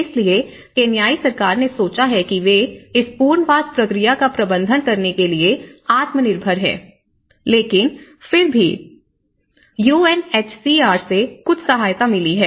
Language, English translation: Hindi, So, Kenyan Government have thought that they are self sufficient to manage this resettlement process but still there has been some support from the UNHCR